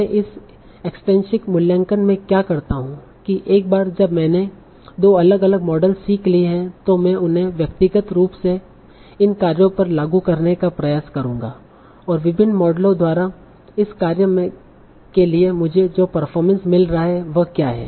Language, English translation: Hindi, So now what I will do in this extensive evaluation is that once I have learned two different models, I will try to apply them to these tasks individually and then see what is the performance that I am obtaining for each of these tasks by different models